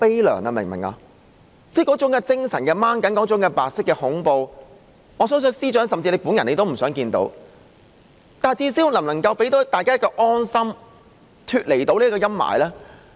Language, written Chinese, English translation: Cantonese, 那種精神的拉緊、那種白色恐怖，我相信司長本人也不想看到，但最低限度政府能否讓大家有一份安心，脫離這種陰霾呢？, I believe even the Chief Secretary himself does not wish to see such taut nerves and white terror . But should the Government not at least make people feel at ease and spared such gloom?